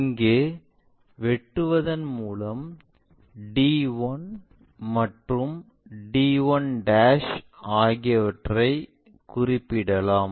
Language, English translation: Tamil, So, we will be in a position to make a cut here to locate d and to locate d 1', d 1